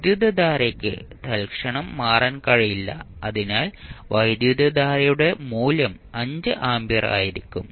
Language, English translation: Malayalam, The current cannot change instantaneously so the value of current I naught will be 5 ampere